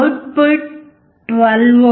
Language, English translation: Telugu, Output is 12V